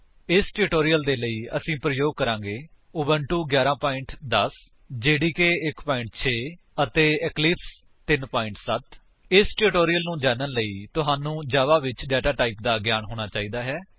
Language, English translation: Punjabi, For this tutorial, we are using: Ubuntu 11.10, JDK 1.6 and Eclipse 3.7 To follow this tutorial, you must have knowledge of data types in Java